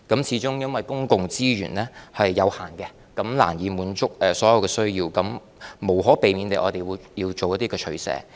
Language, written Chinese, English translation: Cantonese, 始終公共資源是有限的，難以滿足所有人的需要，我們無可避免地要作出一些取捨。, Given that public resources are limited it is difficult to satisfy the needs of all people and thus it is inevitable that we will have to make some choices